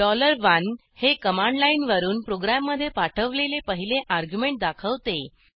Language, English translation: Marathi, $1 represents the first argument passed to the program from the command line